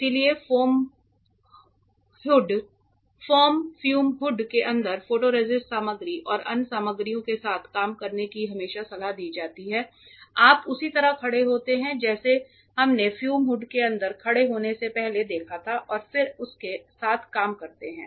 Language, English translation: Hindi, So, it is always advisable to work with photoresist material and other materials inside a foam fume hood, you stand in like the one we saw before you stand inside the fume hood and then work with it